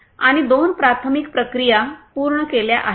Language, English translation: Marathi, And also there are two preliminary processes that are done